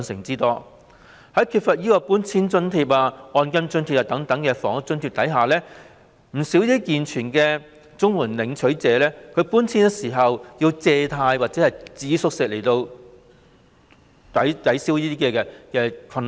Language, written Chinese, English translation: Cantonese, 在缺乏搬遷津貼和按金津貼等房屋津貼的情況下，不少健全的綜援領取者在搬遷時須以借貸或節衣縮食來解決財政困難。, Without housing and related grants like domestic removal grant and grant for rent deposit many able - bodied CSSA recipients have to borrow money or tighten their belts to cope with their financial difficulties when they move